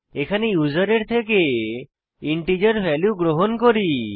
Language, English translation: Bengali, Here we accept integer values from the user